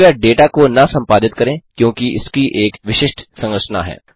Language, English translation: Hindi, Please dont edit the data since it has a particular structure